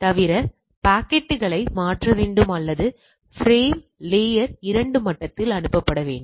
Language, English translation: Tamil, Apart from that the packets need to be switched or what we say frame needs to be forwarded at the layer 2 level